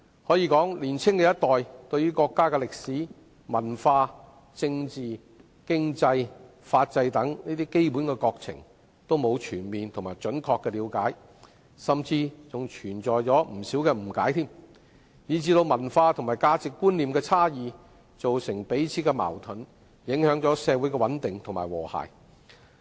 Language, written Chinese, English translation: Cantonese, 可以說，年輕一代對於國家的歷史、文化、政治、經濟、法制等基本國情均沒有全面和準確的了解，甚至還存在不少誤解，以致文化和價值觀念的差異造成彼此間的矛盾，影響了社會的穩定及和諧。, It may be said that the younger generation do not have a comprehensive and accurate understanding of the Mainland in respect of history culture politics economy legal system etc . This coupled with numerous misunderstandings has given rise to conflicts due to the differences in culture and values thereby affecting social stability and harmony